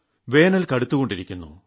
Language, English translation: Malayalam, The summer heat is increasing day by day